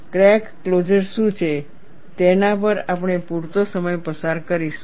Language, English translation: Gujarati, We would spend sufficient time on what is crack closure